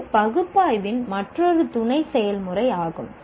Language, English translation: Tamil, So, this is also another sub process of analysis